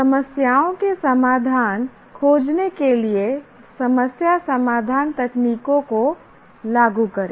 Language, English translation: Hindi, Apply problem solving techniques to find solutions to problems